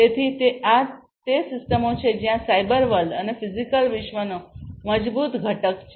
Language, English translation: Gujarati, So, these are systems where there is a strong component of the cyber world and the physical world